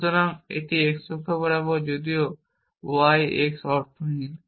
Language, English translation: Bengali, So, this is along the x axis though y x is meaningless